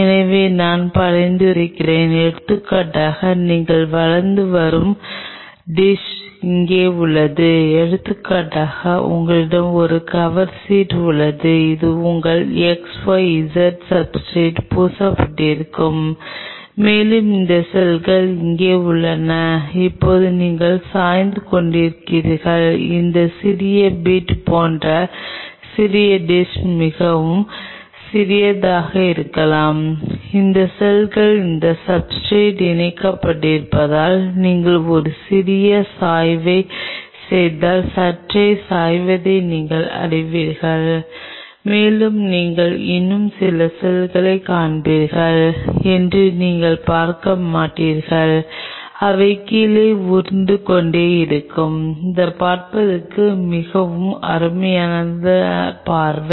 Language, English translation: Tamil, So, what I am suggesting is see for example, here is the dish where you are growing and see for example, you have a cover slip which is coated with your XYZ substrate and you have these cells which are being here and now you just tilt the dish little bit like this little bit very small maybe a this much like you know just slight tilt if you do a slight tilt if these cells have attached on that substrate and you would not see you will still see some cells which will be rolling down they will be it is a very nice sight to see